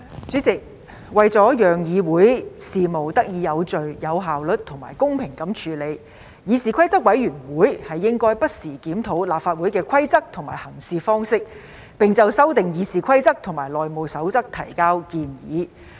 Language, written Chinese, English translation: Cantonese, 主席，為了讓議會事務得以有序、有效率及公平地處理，議事規則委員會應該不時檢討立法會的規則及行事方式，並就修訂《議事規則》及《內務守則》提交建議。, President in order to achieve the orderly efficient and fair disposition of Council business the Committee on Rules of Procedure CRoP should review the rules and practices of the Legislative Council LegCo from time to time and propose amendments to the Rules of Procedure RoP and House Rules HR